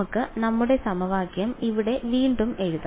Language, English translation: Malayalam, So, let us just re write our equation over here